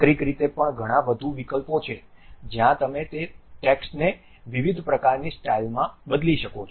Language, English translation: Gujarati, There are many more options also internally where you can change that text to different kind of styles